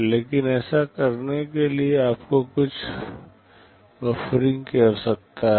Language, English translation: Hindi, But in order do this, you need some buffering